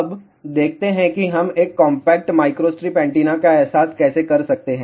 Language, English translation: Hindi, So, now let us see how we can design rectangular microstrip antenna